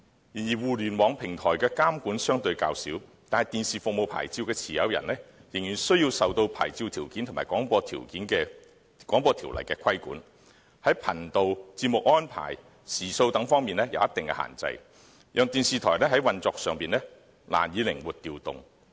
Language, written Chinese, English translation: Cantonese, 然而，互聯網平台的監管相對較小，但電視服務牌照的持有人仍然需要受牌照條件及《廣播條例》的規管，在頻道、節目安排和時數等方面有一定限制，令電視台在運作上難以靈活調動。, While the regulation of online platforms is relatively loose television programme service licencees are subject to licensing conditions and the Broadcasting Ordinance BO rendering the operation of television stations less flexible